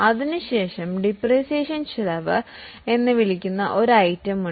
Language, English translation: Malayalam, After that, there is an item called as depreciation expense